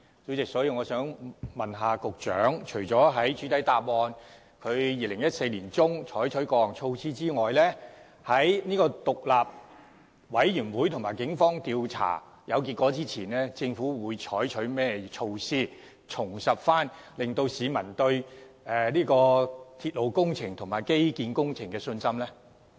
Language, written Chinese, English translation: Cantonese, 主席，我想問局長，除了主體答覆指出在2014年年中採取過措施外，在獨立調查委員會及警方調查有結果前，政府會採取甚麼措施，重拾市民對鐵路工程及基建工程的信心呢？, President besides the measures put in place in mid - 2014 as listed in the main reply what measures will the Government implement before the Independent Commission of Inquiry and the Police come up with any investigation findings so as to restore public confidence in railway and infrastructural projects?